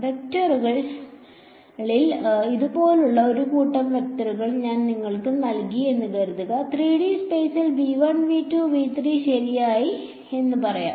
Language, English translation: Malayalam, In vector supposing I gave you a bunch of vectors like this let say in 3D space V 1 V 2 V 3 ok